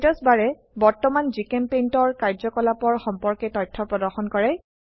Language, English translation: Assamese, Statusbar displays information about current GChemPaint activity